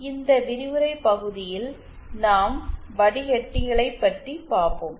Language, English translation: Tamil, So, in this lecture we will be covering filters